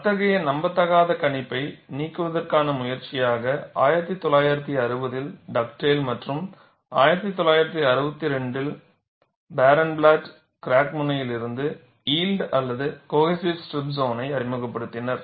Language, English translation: Tamil, In an effort to eliminate such an unrealistic prediction, Dugdale in 1960 and Barenblatt 1962 independently introduced yielded or cohesive strip zones extending from the crack tip